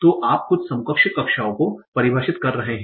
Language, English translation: Hindi, So you are defining some equivalence classes